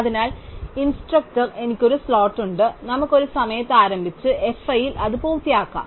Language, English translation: Malayalam, So, instructor i has a slot, let us starts at a time s i and finishes it at f i